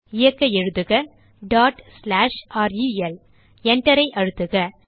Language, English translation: Tamil, To execute type ./rel Press Enter